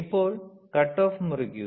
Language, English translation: Malayalam, Now, cut off cut off